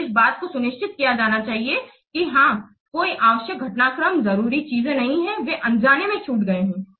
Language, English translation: Hindi, So this thing should be ensured that yes, no necessary developments, no important things they have been missed inadvertently